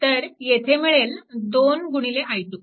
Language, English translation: Marathi, So, it will be i 1 plus i 2